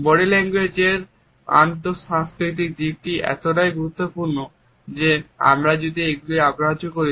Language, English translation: Bengali, The inter cultural aspects of body language are so important that if we ignore them it can lead to certain misgivings and misunderstandings